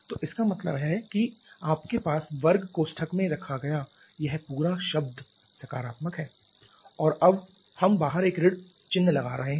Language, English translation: Hindi, So, that means this entire term you said the square bracket is a positive one and now we are having a minus sign outside